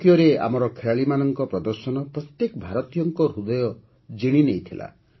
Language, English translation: Odia, The performance of our players in Tokyo had won the heart of every Indian